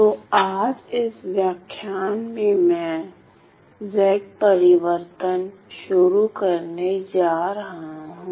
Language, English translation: Hindi, So, today in this lecture, I am going to introduce the Z transform